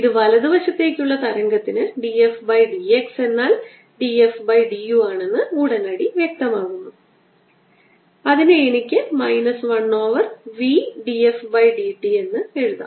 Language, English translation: Malayalam, this immediately makes it clear that for the right traveling wave i have, b f by d x is equal to d f by d u, which is equal to minus one over v d f by d t